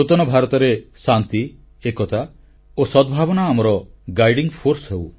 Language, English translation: Odia, New India will be a place where peace, unity and amity will be our guiding force